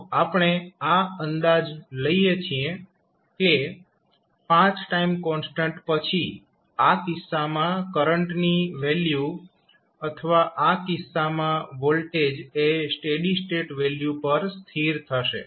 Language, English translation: Gujarati, So, that is the approximation we take that after 5 time constants the value of current in this case or voltage in this case will settle down to a steady state value